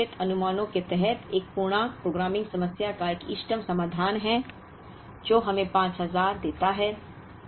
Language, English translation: Hindi, This is an optimal solution to an integer programming problem, under a certain assumptions, which gives us 5000